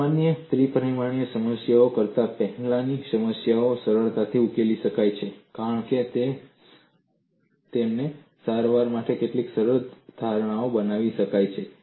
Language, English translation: Gujarati, Plane problems can be solved easily than the general three dimensional problems since certain simplifying assumptions can be made in their treatment, that makes your life lot more simpler